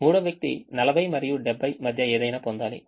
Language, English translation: Telugu, third person should get anything between forty and seventy